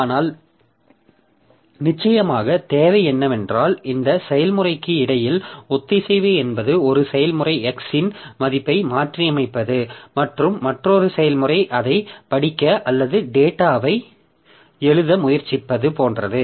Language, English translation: Tamil, But what is required, of course, is the synchronization between this period, between these processes, like one process is say, maybe modifying the value of X and another process is trying to read it or write the data